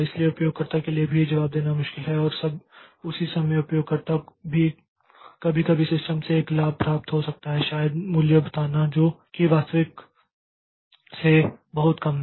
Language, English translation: Hindi, So, that is difficult for the user also to answer and at the same time that is also the user sometimes maybe to get a benefit from the system may be telling the value which is much less than the actual one